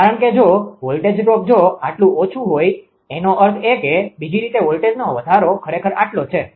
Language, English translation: Gujarati, Because if this much if this much voltage I mean voltage drop this much is less means this much actually voltage rise right in the other way